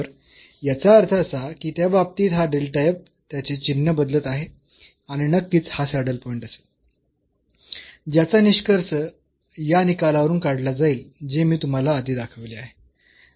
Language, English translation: Marathi, So, means this delta f is changing its sign in that case and this will be a saddle point definitely, which will be also concluded from this result, which I have shown you before